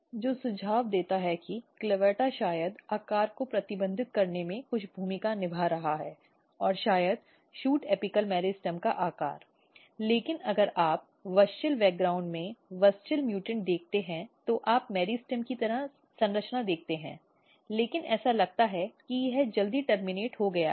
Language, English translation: Hindi, So, which suggest that, CLAVATA is playing some role in may be restricting shape and may be size of the shoot apical meristem; wherever if you see wuschel mutant in wuschel background, you see meristem like structure, but it is it looks that it is terminated early